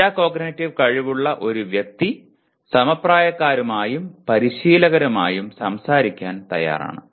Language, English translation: Malayalam, And a person with metacognitive skills he is willing to talk to the both peers and coaches